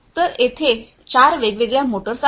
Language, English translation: Marathi, So, like this there are four different motors